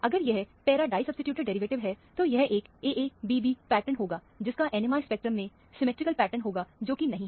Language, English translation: Hindi, If it is a para disubstituted derivative, it would be an AA prime BB prime pattern, which will have a symmetrical pattern in the NMR spectrum, which is not so